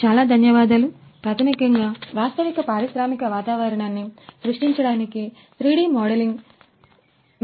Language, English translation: Telugu, Great thank you basically; basically something like we in order to create the actual industrial environment the 3D modelling what is required in VR models